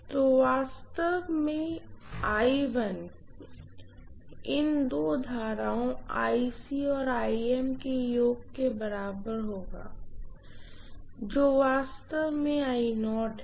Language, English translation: Hindi, So I1 will be equal to actually the summation of these two currents, IC and IM, which is actually I naught